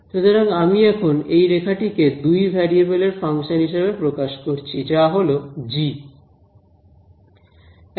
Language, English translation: Bengali, So, I have captured this curve in a now a function of two variables which is g